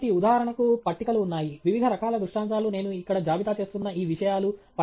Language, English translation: Telugu, So, for example, there are tables; different type of illustrations are all of these things that I am listing here